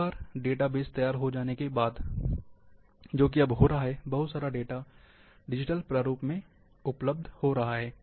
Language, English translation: Hindi, Once the database is ready, that is happening now, that lot of data is becoming digitally available